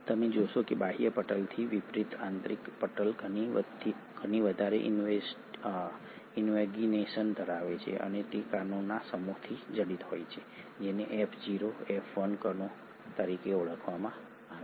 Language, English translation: Gujarati, You find that the inner membrane unlike the outer membrane has far more invaginations and it is studded with a set of particles which is called as the F0, F1 particles